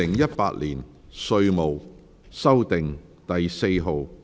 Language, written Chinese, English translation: Cantonese, 《2018年稅務條例草案》。, Inland Revenue Amendment No . 4 Bill 2018